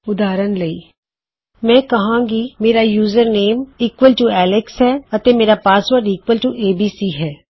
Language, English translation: Punjabi, Ill say username is equal to alex and my password is equal to abc